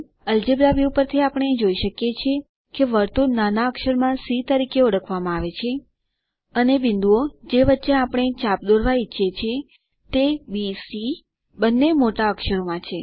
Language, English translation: Gujarati, From the algebra view we can see that the circle is referred to as lower case c, and the points between which we want to draw the arc (B,C) both in upper case